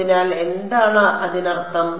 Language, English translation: Malayalam, So, what is; that means